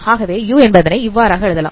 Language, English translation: Tamil, So we can write u transpose x